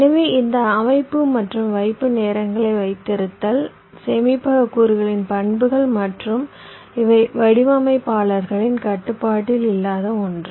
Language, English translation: Tamil, right so this setup and hold times, these are characteristics of the storage elements and these are something which are not under the designers control